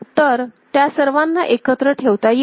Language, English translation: Marathi, So, all of them can be put together